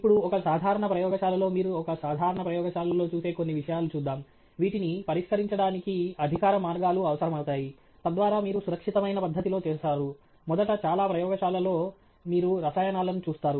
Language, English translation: Telugu, Now, in a typical lab, some of the things that you would see in a typical lab, which require, you know, formal ways of, you know, addressing, so that you do in a safe manner are: first of all, in most labs you would see chemicals